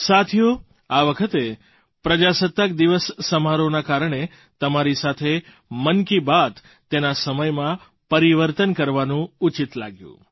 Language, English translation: Gujarati, Friends, this time, it came across as appropriate to change the broadcast time of Mann Ki Baat, on account of the Republic Day Celebrations